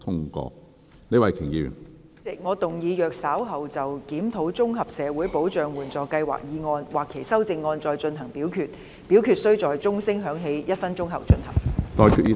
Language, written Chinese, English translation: Cantonese, 主席，我動議若稍後就"檢討綜合社會保障援助計劃"所提出的議案或修正案再進行點名表決，表決須在鐘聲響起1分鐘後進行。, President I move that in the event of further divisions being claimed in respect of the motion on Reviewing the Comprehensive Social Security Assistance Scheme or any amendments thereto this Council do proceed to each of such divisions immediately after the division bell has been rung for one minute